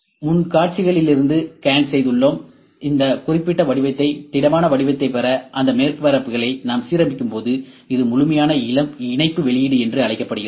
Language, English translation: Tamil, So, we have scan from front views, when we are aligning those surfaces to get this specific shape, the solid shape, this is known as complete mesh output